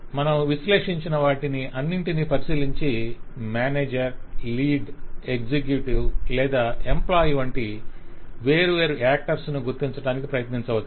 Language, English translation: Telugu, so all that we have analyzed, we can look over them and try to identify different actors, like manager, like lead, like executive or even like employee and so on